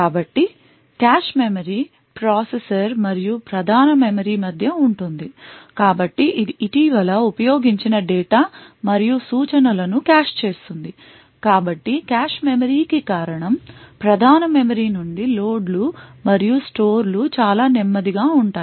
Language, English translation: Telugu, So, a cache memory sits between the processor and the main memory so it caches recently used data and instructions so the reason for the cache memory is that loads and stores from the main memory is extremely slow